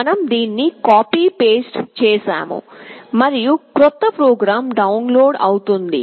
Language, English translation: Telugu, We save it, we copy this, we paste it and the new program is getting downloaded